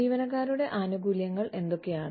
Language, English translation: Malayalam, What are employee benefits